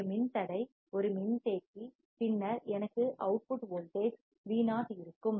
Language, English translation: Tamil, A resistor,A capacitor, and then I will have output voltage Vo